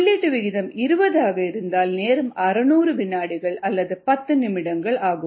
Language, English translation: Tamil, if the input rate is twenty, the time would be six hundred seconds or ten minutes